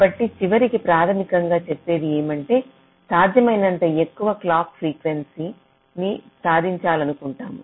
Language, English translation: Telugu, so ultimately, the bottom line is we want to achieve the greatest possible clock frequency